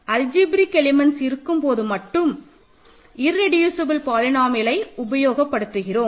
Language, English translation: Tamil, So, irreducible polynomials are only defined for algebraic elements